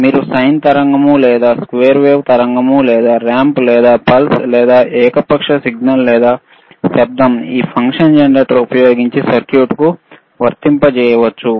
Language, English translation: Telugu, yYou can apply sine wave or square wave or ramp or pulse or arbitrary signal or noise to a circuit using this function generator, right